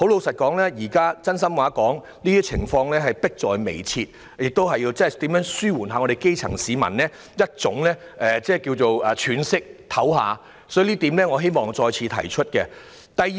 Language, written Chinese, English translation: Cantonese, 說句真心話，問題已經迫在眉睫，政府必須認真思考如何讓基層市民可以稍作喘息，這一點是我想再次提出的。, To be honest the problem is imminent and it is imperative for the Government to seriously consider how to enable the grass roots to have some breathing space . This is the point that I would like to reiterate